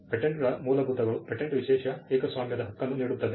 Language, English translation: Kannada, Fundamentals of Patents; patents offer an exclusive monopoly right